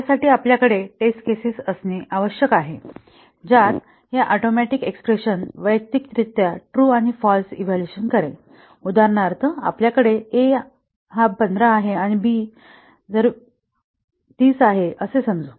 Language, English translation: Marathi, This requires us to have test cases that will have these expressions atomic expressions evaluating to true and false individually, for example, let us say if we have a is equal to 15 and b is equal to 30